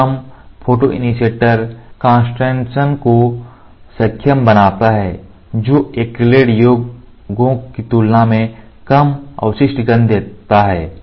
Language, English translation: Hindi, This enables low photoinitiator concentrations giving low residual odor than acrylic formulations